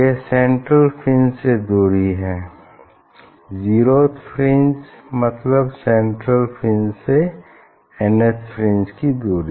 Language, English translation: Hindi, that is the distance from the central fringe, zeroth fringe to the nth fringe It can be dark or bright